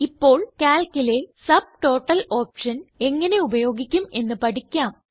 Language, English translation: Malayalam, Now, lets learn how how to use the Subtotal option in Calc